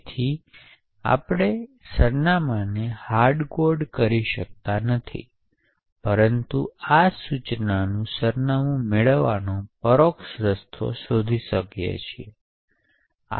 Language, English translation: Gujarati, So, therefore we cannot hardcode the address but rather find an indirect way to actually get the address of this instruction